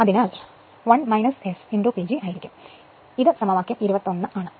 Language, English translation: Malayalam, So, is equal to 1 minus S into P G , this is equation 21 right